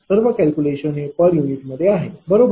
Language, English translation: Marathi, All calculations are in per unit, right